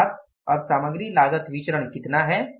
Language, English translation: Hindi, So, what is the material cost variance